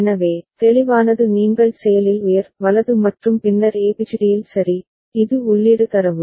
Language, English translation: Tamil, So, clear is a you can see is active high right and then in ABCD all right, these are the data that is input of it